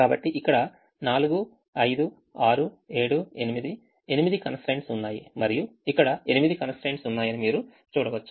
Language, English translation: Telugu, so there are eight constrains: four, five, six, seven, eight, and you can see that there are eight constrains here